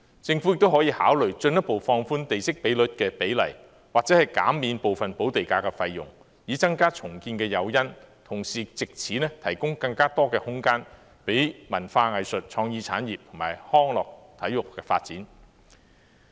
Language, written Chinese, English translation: Cantonese, 政府亦可以考慮進一步放寬地積比率，或者減免部分補地價的費用，以增加重建的誘因，同時藉此提供更多空間讓文化藝術、創意產業及康樂體育發展。, It can also consider further relaxation of the plot ratio or partial reduction of land premium to increase the incentives for redevelopment with a view to providing more space for the development of arts and culture creative industries recreation and sports